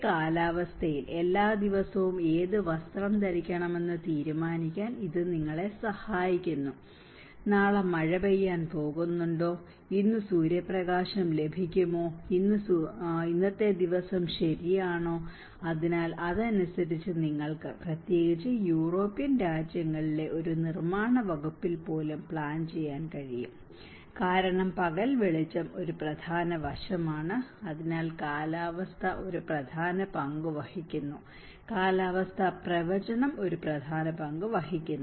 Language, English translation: Malayalam, Whereas in a weather, it helps you to decide what clothes to wear each day, is it going to rain tomorrow, is it going to get sunshine today, is it a sunny day today right, so accordingly you can even plan especially in a construction department in the European countries because daylighting is an important aspect so, weather plays an important role, weather forecast plays an important role